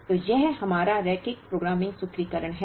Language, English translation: Hindi, So, this is our linear programming formulation